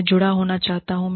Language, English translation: Hindi, I want to be connected